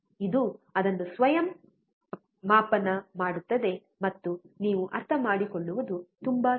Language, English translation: Kannada, It will auto scale it and it will be very easy for you to understand